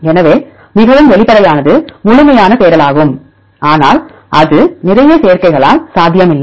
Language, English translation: Tamil, So, the most obvious one is exhaustive searching, but that is not possible because of a lot of combinations